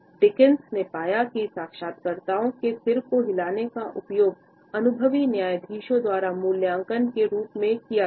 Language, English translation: Hindi, Dickson found that interviewer’s use of head nods was a significant predictor of their interviewing competence, as rated by experienced judges